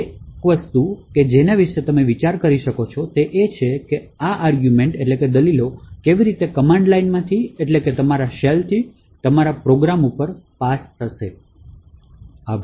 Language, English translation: Gujarati, So, one thing that you could think about is how are these arguments actually passed from the command line that is from your shell to your program